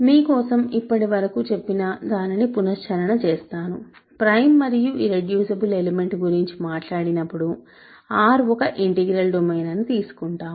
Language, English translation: Telugu, So, just to recap the general picture for you, I will write in general regarding prime and irreducible elements, R is an integral domain, R is an integral domain